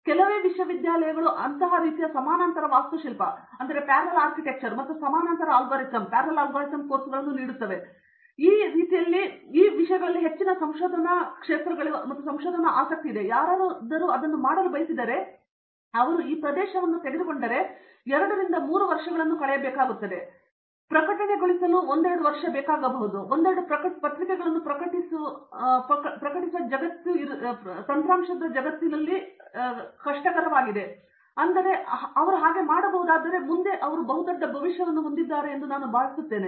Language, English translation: Kannada, The very few ( universities even offers such type of parallel architecture and parallel algorithm courses right and so these are something that great research interest here and if somebody aspects to do that, if they take anyone this area and spends 2 to 3 years and demonstrate to the world that they can think new, publish couple of papers write some sort of software I think a they have a great future in front of this